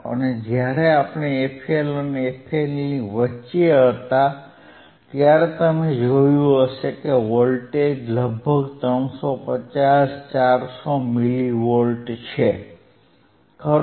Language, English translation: Gujarati, And or when we were between f L were between f L and f H, you would have seen the voltage which was around 350, 400 milli volts, right